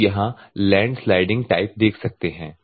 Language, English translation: Hindi, Normally you can see here land sliding type